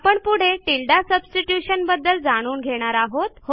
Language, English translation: Marathi, The next thing we would see is called tilde substitution